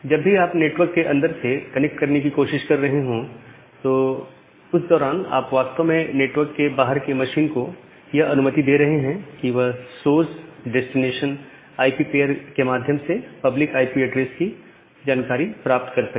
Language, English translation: Hindi, So, whenever you are making a connection from inside, during that time you are actually allowing the outside machine to get a information about the public IP address through this source destination IP pair